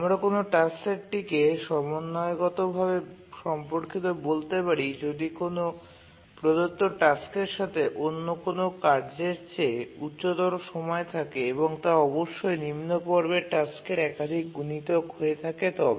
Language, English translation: Bengali, We say that a task set is harmonically related if given that any task has higher period than another task, then it must be a multiple of the lower period task